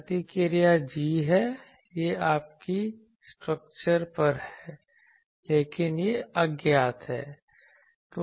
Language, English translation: Hindi, The response is g this is on your structure, but this is unknown